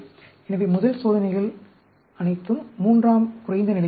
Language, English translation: Tamil, So, the first experiments will be all the 3, at the lower level